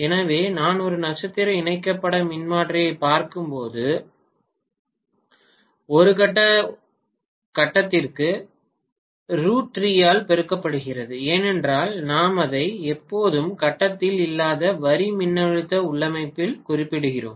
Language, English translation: Tamil, So when I am looking at a star connected transformer it becomes per phase multiplied by root three because we always mention it in line voltage configuration not in phase